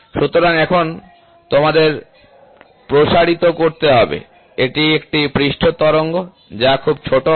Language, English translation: Bengali, So, now, you have to amplify, this is a surface undulate which will be very small